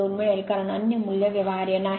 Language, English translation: Marathi, 2 because other value is not feasible right